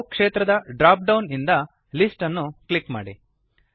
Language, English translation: Kannada, From the Allow field drop down, click List